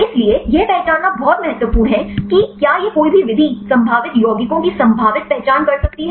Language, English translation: Hindi, So, it is very important to identify whether these any method can potentially identify the probable compounds